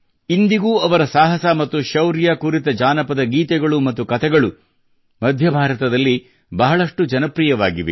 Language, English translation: Kannada, Even today folk songs and stories, full of his courage and valour are very popular in the central region of India